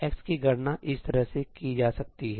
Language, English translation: Hindi, x can be computed as follows